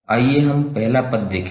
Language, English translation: Hindi, Let us see the first term